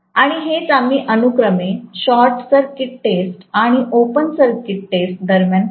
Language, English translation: Marathi, And that is what we do during short circuit test and open circuit test respectively, okay